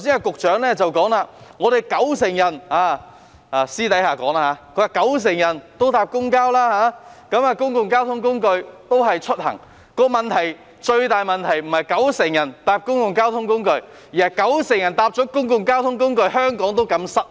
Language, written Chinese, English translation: Cantonese, 局長剛才私下提到香港有九成市民乘搭公共交通工具出行，但最大的問題不是有九成市民乘搭公共交通工具，而是有九成人乘搭公共交通工具後，香港仍然擠塞。, The Secretary has indicated in private just now that 90 % of people in Hong Kong take public transport in their journeys . However the biggest problem is not that 90 % of people take public transport but that Hong Kong still suffers traffic congestion even though 90 % of people take public transport